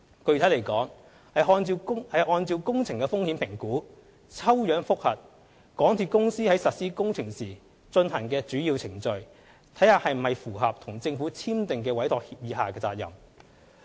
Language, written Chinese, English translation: Cantonese, 具體來說，是按照工程的風險評估，抽樣覆核港鐵公司在實施工程時進行的主要程序是否符合與政府簽訂的委託協議下的責任。, Specifically this would use a risk - based sampling approach to verify compliance of the obligations regarding the major procedures of works under the Entrustment Agreement signed with the Government